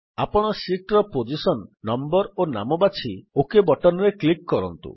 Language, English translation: Odia, You can choose the position, number of sheets and the name and then click on the OK button